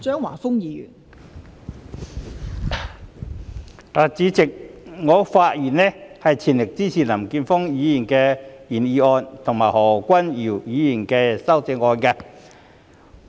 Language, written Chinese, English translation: Cantonese, 代理主席，我的發言是全力支持林健鋒議員的原議案，以及何君堯議員的修正案。, Deputy President I speak in full support of Mr Jeffrey LAMs original motion and Dr Junius HOs amendment